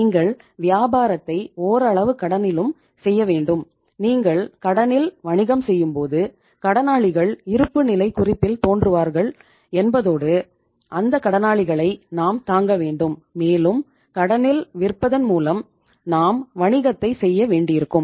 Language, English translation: Tamil, You have to do the business partly on credit also and when you do the business on credit it means sundry debtors appear in the balance sheet and we have to bear those sundry debtors and we will have to do the business by selling on the credit